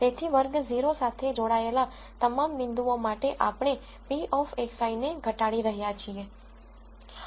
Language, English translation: Gujarati, So, for all the points that belong to class 0 we are minimizing p of x i